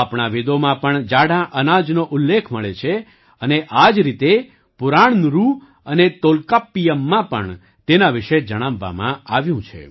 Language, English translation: Gujarati, Millets are mentioned in our Vedas, and similarly, they are also mentioned in Purananuru and Tolkappiyam